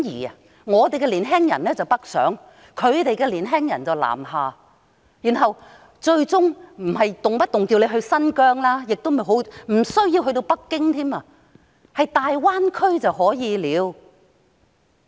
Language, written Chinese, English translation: Cantonese, 她呼籲香港的年輕人北上，希望內地的年輕人南下，但香港的年輕人無需前往新疆或北京，只是前往大灣區便可以了。, She calls on young people in Hong Kong to go northwards to the Mainland while hoping that Mainland young people can go southwards to Hong Kong . But she thinks that Hong Kong young people needs not go to Xinjiang or Beijing and it is already good enough for them to go to the Greater Bay Area